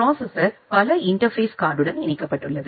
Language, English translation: Tamil, The processor is connected to multiple interface card